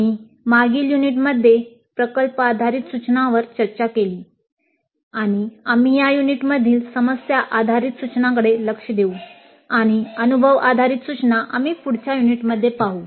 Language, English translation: Marathi, We discussed project based instruction in the last unit and we look at problem based instruction in this unit and experience based instruction we look at it in the next unit